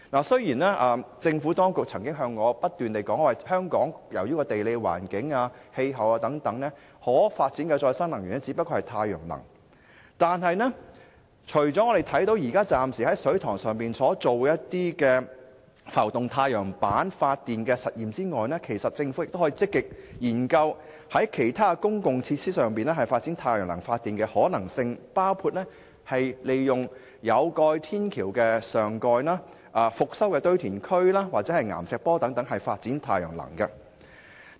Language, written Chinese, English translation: Cantonese, 雖然政府當局曾不斷向我解釋，指由於地理環境和氣候問題等，香港可發展的再生能源只有太陽能，但政府現時除了在水塘上試驗浮動太陽板發電系統外，其實亦可積極研究在其他公共設施上發展太陽能發電的可能性，包括利用有蓋天橋上蓋、復修堆填區或岩石坡等空間發展太陽能。, Though the Government has repeatedly explained to me that owing to geographical and climate factors the only form of renewable energy available in Hong Kong is solar energy yet apart from the pilot test of floating photovoltaic systems on reservoirs the Government can in fact actively study the possibility for developing solar energy on spaces in other public facilities including covers of footbridges restored landfills or rock slopes